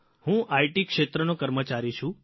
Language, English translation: Gujarati, I am an employee of the IT sector